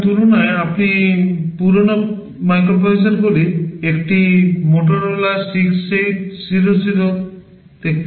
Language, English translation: Bengali, Now, in comparison you see one of the older microprocessors Motorola 68000